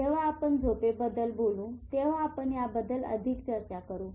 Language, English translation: Marathi, When we will talk of sleep, we will talk more about this